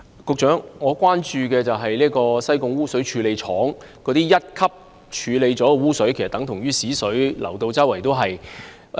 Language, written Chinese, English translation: Cantonese, 局長，我關注的是西貢污水處理廠處理後的一級污水，即等同糞水流往海港其他範圍的情況。, Secretary my concern is about the sewage discharged into the harbour by the Sai Kung Sewage Treatment Works after primary treatment which is equivalent to the discharge of septic waste into other parts of the harbour direct